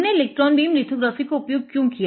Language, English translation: Hindi, Now, why electron beam lithography